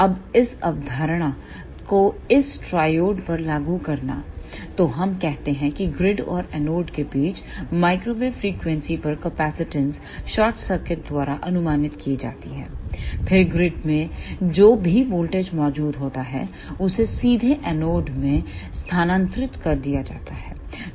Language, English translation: Hindi, Now, applying this concept to this triode, so let us say at microwave frequencies capacitance between grid and anode is approximated by a short circuit, then whatever voltage is present at the grid that will be directly transfer to anode